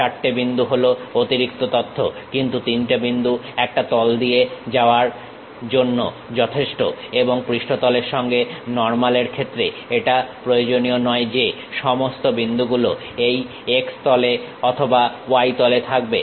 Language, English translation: Bengali, Four points is additional information, but three points is good enough to pass a plane and the normal to the surface is not necessary that all these three points will be on x plane or y plane, but it can be on different planes